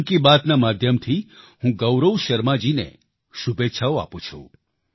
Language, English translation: Gujarati, Through the medium of Mann Ki Baat, I extend best wishes to Gaurav Sharma ji